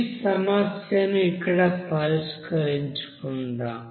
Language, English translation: Telugu, So let us solve this problem here